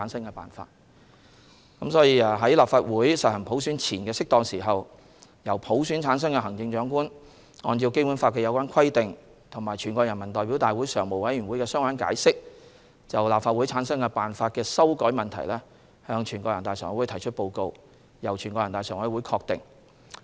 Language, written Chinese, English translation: Cantonese, 因此，在立法會實行普選前的適當時候，由普選產生的行政長官按照《基本法》的有關規定和全國人大常委會的相關解釋，就立法會產生辦法的修改問題向全國人大常委會提出報告，由全國人大常委會確定。, Hence at an appropriate time prior to the election of the Legislative Council by universal suffrage the Chief Executive elected by universal suffrage shall submit a report to NPCSC in accordance with the relevant provisions of the Basic Law and the relevant interpretation made by NPCSC as regards the issue of amending the method for forming the Legislative Council . A determination thereon shall be made by NPCSC